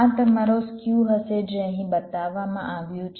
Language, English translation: Gujarati, this will be your skew shown here